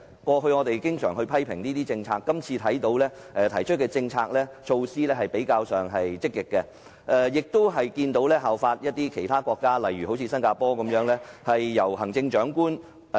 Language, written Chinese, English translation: Cantonese, 過去，我們經常批評政府的政策，但這份施政報告提出的政策措施較為積極，亦有參考其他國家，例如新加坡的做法。, In the past we often criticized government policies but the policies and initiatives proposed in this Policy Address are more positive and reference has also been made to the practices of other countries such as Singapore